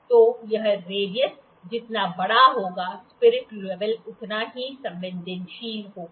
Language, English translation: Hindi, So, larger the radius the more sensitive is the spirit level